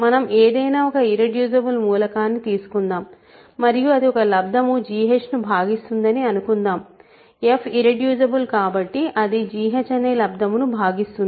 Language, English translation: Telugu, Let us take any irreducible element and suppose it divides a product g h, f is irreducible it divides a product g h